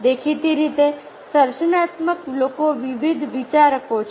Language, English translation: Gujarati, creative people are divergent thinker